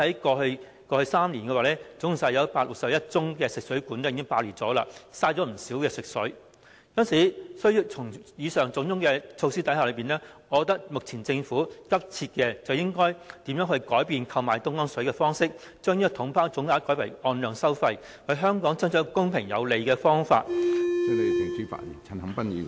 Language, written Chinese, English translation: Cantonese, 過去數年，已有很多宗食水管爆裂事件，浪費不少食水，故此，政府需要推行上述種種措施，而我認為政府目前急切要做的是，如何改變購買東江水的方式，將購買方式由"統包總額"改為"按量收費"，為香港爭取公平合理的方法......, In the past few years there were many cases of fresh water mains burst that caused large amount of water wastage . In my opinion among the above measures that should be implemented by the Government the priority is to change the approach of purchasing Dongjiang water from the package deal lump sum approach to a quantity - based charging approach and bargain for a fair and reasonable deal for Hong Kong